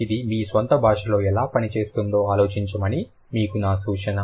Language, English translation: Telugu, My suggestion for you would be to think about how it works in your own language